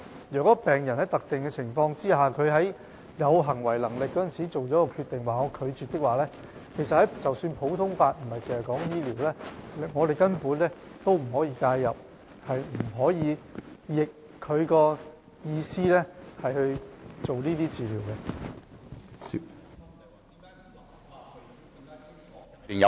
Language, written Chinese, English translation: Cantonese, 如果病人在特定的情況下，在其有行為能力時已作出拒絕治療的決定，則不論是在醫療倫理或普通法下，我們也不可以介入，不可以違背病人的意思進行治療。, If patients have made the decision of not receiving treatment when they are capable and under specific conditions then according to medical ethics and the common law we cannot intervene or go against the will of the patient to administer treatment